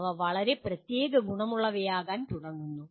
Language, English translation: Malayalam, They start becoming very specific